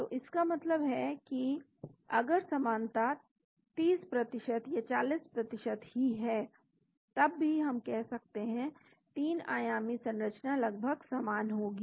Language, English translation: Hindi, So, that means if the similarity is even 30%, 40% we can say, 3 dimensional structure will be almost the same